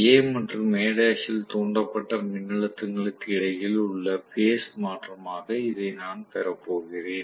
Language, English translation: Tamil, So, I am going to have this as my phase shift between the voltages induced in A and A dash right